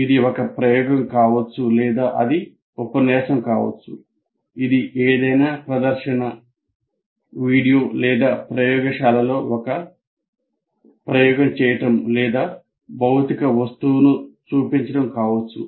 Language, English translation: Telugu, It could be an experiment or it could be a lecture, it could be presentation of something else, a video or even conducting an experiment in the lab or showing a physical object, but he is demonstrating